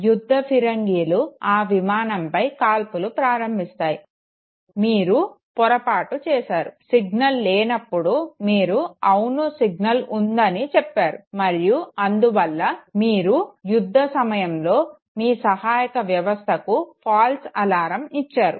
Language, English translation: Telugu, The field guns will start firing at that very aircraft, you committed a mistake okay, when the signal was absent you said that yes there is a signal and therefore you raised a false alarm against which the support system started combat operation okay